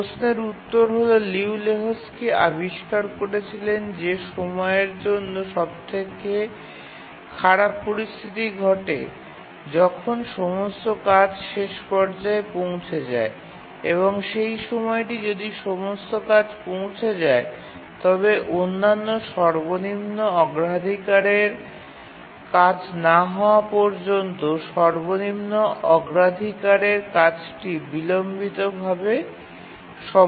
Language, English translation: Bengali, The answer to that question is that Liu Lehuzki found that the worst case condition for schedulability occurs when all the tasks arrive in phase and that is the time if all tasks arrive in phase then the lowest priority task will get delayed until all other higher priority tasks complete